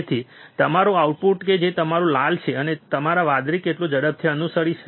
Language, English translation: Gujarati, So, how fast your output that is your red follows your blue